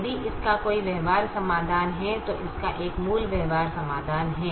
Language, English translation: Hindi, if it has a feasible solution, then it has a basic feasible solution